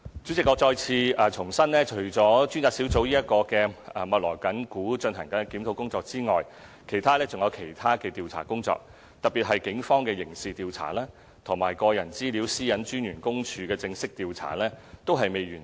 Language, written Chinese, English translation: Cantonese, 主席，我再次重申，除了專責小組密鑼緊鼓地進行檢討工作外，還有多項其他調查工作，特別是警方的刑事調查和個人資料私隱專員公署的正式調查均未完成。, President I reiterate once again that apart from the review now conducted full steam ahead by the Task Force other investigations are also underway especially the criminal investigation by the Police and the formal investigation by the Privacy Commissioner for Personal Data